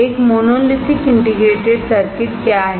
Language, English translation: Hindi, What is a monolithic integrated circuit